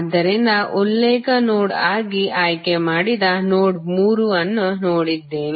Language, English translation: Kannada, So, we have seen that the node 3 we have chosen as a reference node